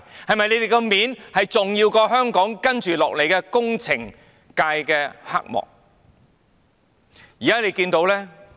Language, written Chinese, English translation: Cantonese, 他們的面子，是否重要過處理香港接下來的工程界黑幕呢？, Does their face matter more than the dark secrets of the engineering sector of Hong Kong?